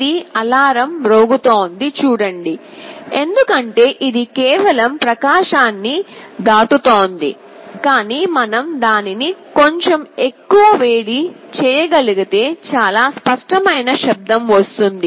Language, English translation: Telugu, See this is alarm is sounding because it is just crossing threshold, but if we can heat it a little further then there will be a very clear sound that will be coming